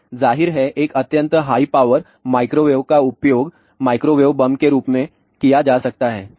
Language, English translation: Hindi, And, of course, an extremely high power microwave can be use as microwave bomb alright